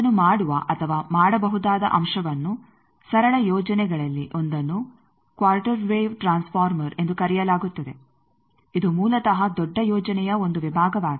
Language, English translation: Kannada, The element by which that is done can be done, one of the simple schemes is called Quarter Wave Transformer it is basically a section of a larger scheme